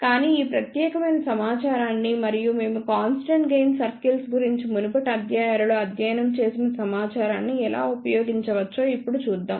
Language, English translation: Telugu, So, let us see now how we can use this particular information and the information which we had studied in the previous lectures about the constant gain circles